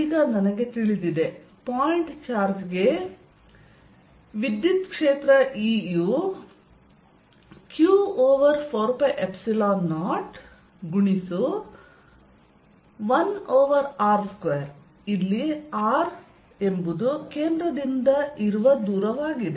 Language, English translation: Kannada, now i know for a point: charge e is q over four pi epsilon zero one over r square, where r is a distance from the center